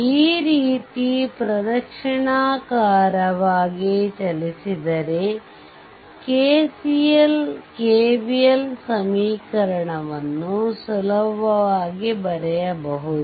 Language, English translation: Kannada, So, if you if you move like this, so easily you can write down your what you call that your KCL KVL equation